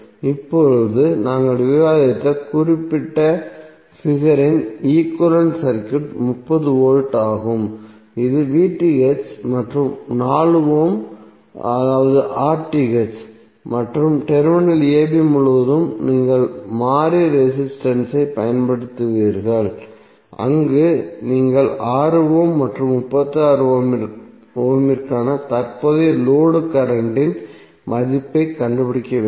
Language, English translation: Tamil, Now your equivalent circuit of the particular figure which we discussed is 30V that VTh and 4 ohm that is RTh and across the terminal a b you will apply variable resistance where you have to find out the value of current, load current for 6 ohm and 36 ohm